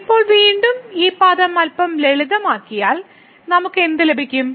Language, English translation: Malayalam, So, the now again we need to simplify this term a little bit and what we will get